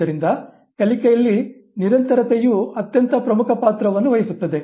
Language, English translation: Kannada, So, continuity plays an extremely important role in learning